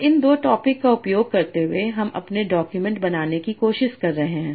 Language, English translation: Hindi, Now, using these two topics, I am trying to generate my documents